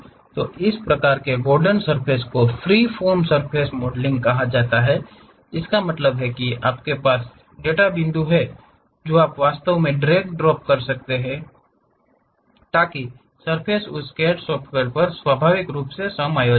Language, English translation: Hindi, So, these kind of Gordon surface is called freeform surface modelling, that means, you have data points you can really drag drop, so that surface is naturally adjusted on that CAD software